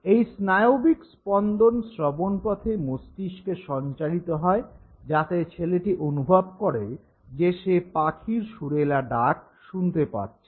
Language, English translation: Bengali, This neural firing travels to the brain through the auditory pathway and the child senses that he is listening to this melodious sound of the bird